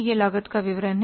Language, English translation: Hindi, This is the statement of cost